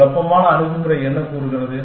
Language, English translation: Tamil, What does perturbative approach says